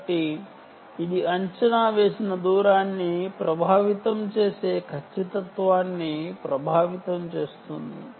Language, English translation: Telugu, so it impacts the accuracy, it impacts the estimated distance